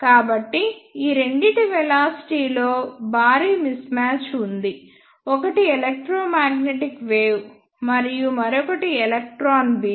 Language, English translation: Telugu, So, there is a huge mismatch in the velocities of these two; one is electromagnetic wave and another one is electron beam